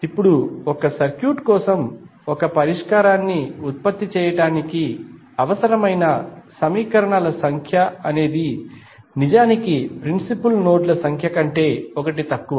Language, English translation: Telugu, Now, the number of equations necessary to produce a solution for a circuit is in fact always 1 less than the number of principal nodes